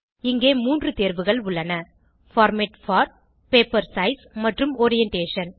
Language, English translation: Tamil, There are 3 options here Format for, Paper size and Orientation